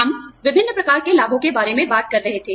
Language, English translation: Hindi, We were talking about, various types of benefits